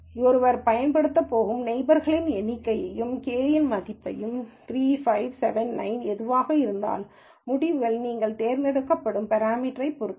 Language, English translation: Tamil, So, one has to choose the number of neighbors that one is going to use, the value of k, whether its 3 5 7 9 whatever that is, and the results can quite significantly depend on the parameter that you choose